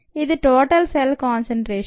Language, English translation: Telugu, this is a total cell concentration